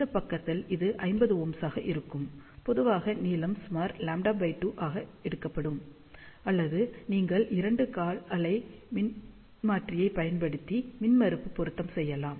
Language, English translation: Tamil, And in this side, it will be 50 ohm typically the length should be taken as about lambda by 2 or you can use two quarter wave transformer to do the impedance matching